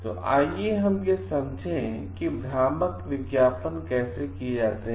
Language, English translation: Hindi, So, how if we understand, how deceptive advertisements are done